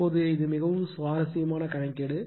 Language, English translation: Tamil, Now, , this is a very interesting problem